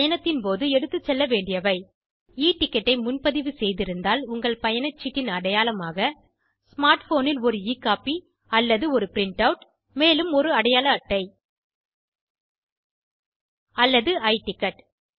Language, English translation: Tamil, What to carry during travel ,if you book an E ticket any one proof of your ticket and E copy in your smart phone or a print out of the ticket and an identity card Or take the i ticket